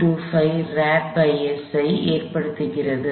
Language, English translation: Tamil, 25 radians per second